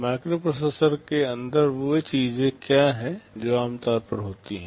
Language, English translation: Hindi, Inside the microprocessor what are the things that are typically there